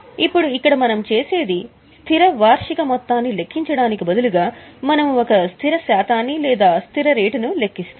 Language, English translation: Telugu, Now here what we do is instead of calculating a fixed annual amount, we calculate a fixed percentage or a fixed rate